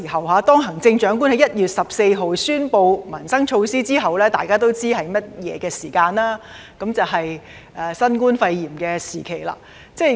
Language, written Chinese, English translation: Cantonese, 大家都知道，行政長官在1月14日宣布民生措施之後，便是新冠肺炎時期。, We all know that COVID - 19 struck after the Chief Executive announced the livelihood initiatives on 14 January